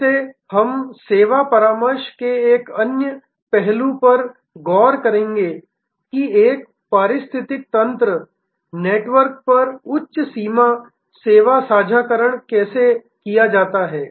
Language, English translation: Hindi, From, this we will also look at another aspect of the service consulting, how higher end service sharing across an ecosystem network is done